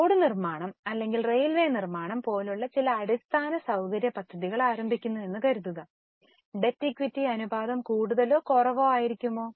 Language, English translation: Malayalam, Suppose some infrastructure project to be started, like construction of road or construction of railways, will the debt equity ratio be higher or lower